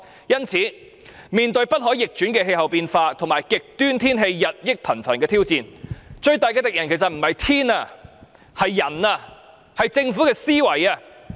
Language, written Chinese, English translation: Cantonese, 因此，面對不可逆轉的氣候變化及極端天氣日益頻繁的挑戰，我們最大的敵人不是天氣而是人類，是政府的思維。, Therefore when facing the challenge of irreversible climate change and increasingly frequent extreme weather our biggest enemy is not the weather but human beings and the Governments mindset